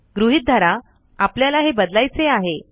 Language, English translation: Marathi, Lets say that we want to change this